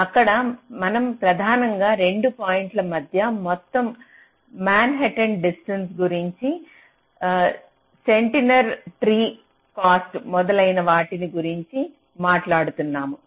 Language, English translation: Telugu, so whatever we are talking about there, we were mainly talking about how much was the total manhattan distance between the two points, steiner tree cost and so on and so forth